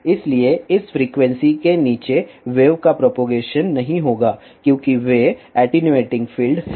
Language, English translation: Hindi, So, bellow this frequency there will not be propagation of wave as there are attenuating fields